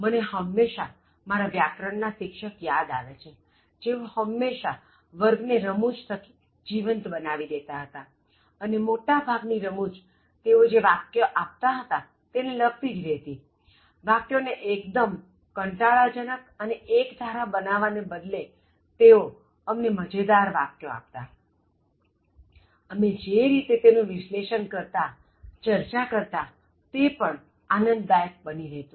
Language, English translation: Gujarati, I always remember my grammar teacher, so who made the classes glamorous, okay, very scintillating, by sprinkling the classes with lot of humour; and most of the humour is relevant in terms of the sentence that he was giving, instead of making the sentence very boring and monotonous, he was giving us very funny sentences, the way we have analyzed, discussed were also very humourous